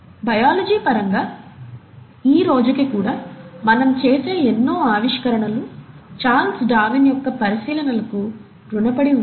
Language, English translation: Telugu, In terms of biology, even today, a lot of our discoveries, we owe it to the observations of Charles Darwin